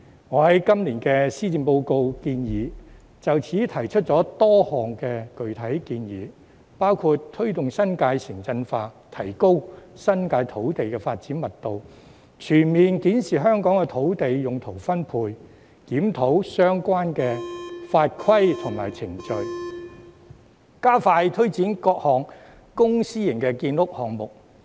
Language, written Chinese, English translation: Cantonese, 我在今年的施政報告建議書中就此提出多項具體建議，包括：推動新界"城鎮化"，提高新界土地的發展密度；全面檢視香港的土地用途分配；檢討相關的法規和程序；以及加快推展各項公私營建屋項目。, My proposal for the Policy Address of this year puts forth a number of specific recommendations on this issue including promoting urbanization in the New Territories and increasing the development density of the land in the New Territories; comprehensively reviewing land use distribution in Hong Kong; reviewing the relevant rules regulations and procedures; and expediting various public and private housing developments